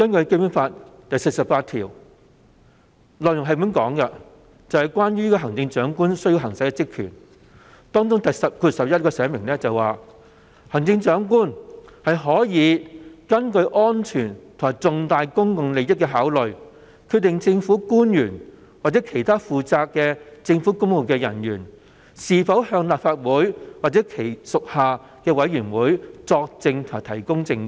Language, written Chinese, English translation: Cantonese, 《基本法》第四十八條訂明行政長官需要行使的職權，當中第項表明行政長官可根據安全及重大公共利益的考慮，決定政府官員或其他負責政府公務的人員是否向立法會或其屬下的委員會作證及提供證據。, How are we supposed to give approval to this may I ask? . Article 48 of the Basic Law provides for the Chief Executives powers and functions of which item 11 stipulates expressly that the Chief Executive may decide in the light of security and vital public interests whether government officials or other personnel in charge of government affairs should testify or give evidence before the Legislative Council or its committees